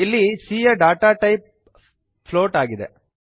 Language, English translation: Kannada, Here, float is a data type of variable c